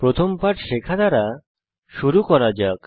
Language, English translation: Bengali, Let us start by learning the first lesson